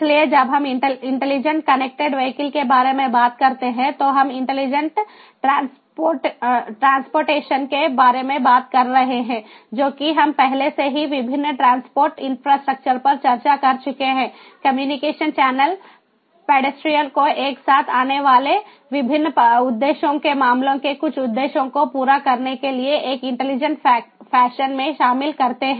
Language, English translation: Hindi, so when we talk about intelligent connected vehicles, we are talking about intelligent transportation, which we have already discussed: the different transport infrastructure, the communication channel, pedestrians all coming together, interconnecting them in an intelligent fashion to fulfill certain objectives, ah, the different use cases